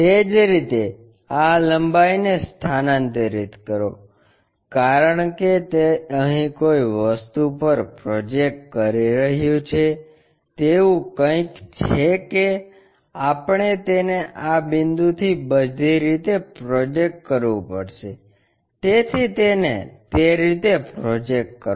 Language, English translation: Gujarati, Similarly, transfer this length, because it is projecting onto a thing here something like that, that we have to project it all the way from this point so, project it in that way